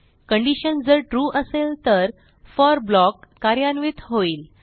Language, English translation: Marathi, If the condition is true then the for block will be executed